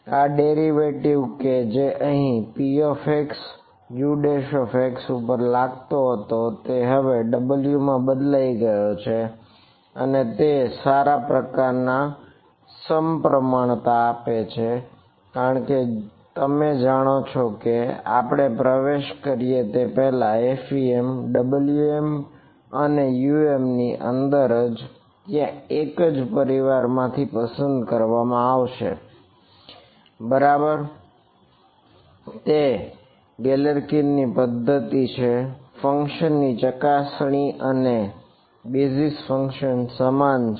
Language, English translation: Gujarati, This derivative which was acting here on p x and U prime x has now been transferred onto W and that gives a nice kind of symmetry because you know before we even get into you know that in FEM W m and U M there going to be chosen from the same family right its Galerkin’s method the testing function and the basis function is the same